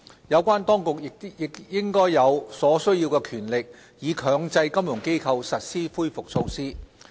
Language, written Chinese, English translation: Cantonese, 有關當局亦應有所需權力，以強制金融機構實施恢復措施。, The relevant authorities should also have the requisite powers to mandate the implementation of the recovery measures